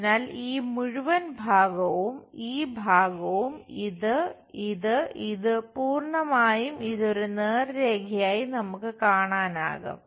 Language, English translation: Malayalam, So, this entire part, this part, this one, this one, this one entirely we will see it like a straight line